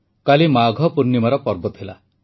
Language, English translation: Odia, Yesterday was the festival of Magh Poornima